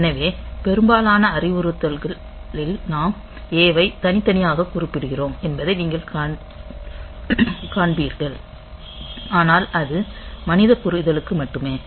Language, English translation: Tamil, So, most of the instruction you will find that though we are mentioning A separately, but that is only for human understanding as far as the machine is concerned